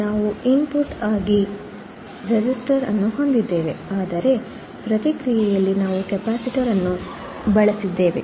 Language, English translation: Kannada, we have a resistor as an input, but in the feedback we have used a capacitor